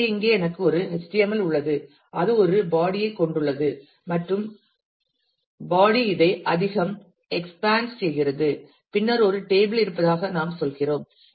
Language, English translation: Tamil, So, here it says that I have HTML which has a body and the body expanse this much and then we are saying that there is a table